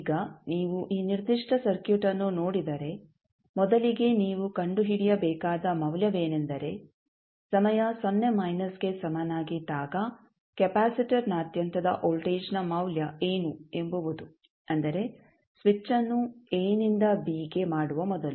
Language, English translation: Kannada, Now, if you see this particular circuit, the value which you need to first find out is what is the value of the voltage across capacitor at time is equal to 0 minus means just before the switch was thrown from a to b